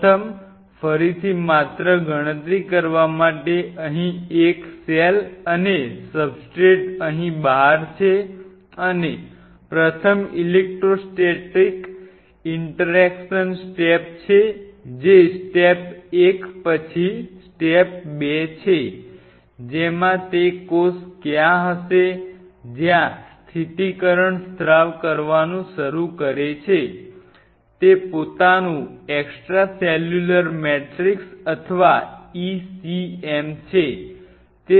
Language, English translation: Gujarati, First again just to enumerate the first is a cell out here substrate out here and first is the Electro Static Interaction step one followed by 2 which will have where is the cell upon that stabilization starts to secrete out it is own Extra Cellular Matrix or ECM